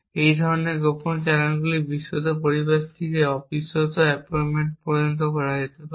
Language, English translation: Bengali, Such kind of covert channels can be done from a trusted environment to the untrusted appointment